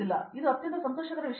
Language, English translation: Kannada, So, that was a most pleasurable thing